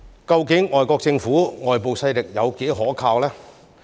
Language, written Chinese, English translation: Cantonese, 究竟外國政府、外部勢力有多可靠呢？, So how reliable are the foreign government and external forces?